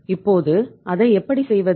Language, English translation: Tamil, Now how to do that